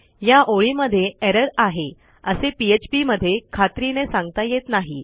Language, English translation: Marathi, So php doesnt work on the basis that theres an error on this line